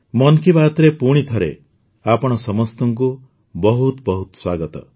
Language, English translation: Odia, Once again, a very warm welcome to all of you in 'Mann Ki Baat'